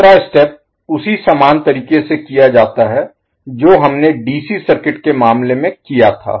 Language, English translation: Hindi, The second step is performed similar manner to what we did in case of DC circuits